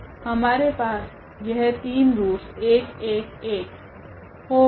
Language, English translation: Hindi, So, we have these 3 roots; so, 1 1 1